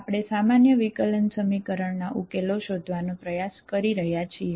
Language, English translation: Gujarati, Welcome back, we are trying to find the solutions of ordinary differential equation